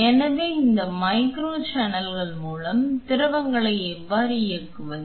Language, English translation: Tamil, So, how do we drive fluids through these micro channels